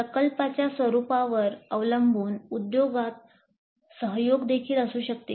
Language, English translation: Marathi, Depending upon the nature of the project, collaboration could also be with the industry